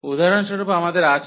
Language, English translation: Bengali, So, for instance we have